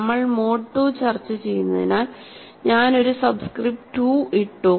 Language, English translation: Malayalam, Since we are discussing mode 2, I have put a subscript 2